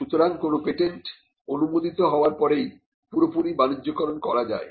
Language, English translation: Bengali, So, when a patent gets granted it is only after the grant that patent can be fully commercialized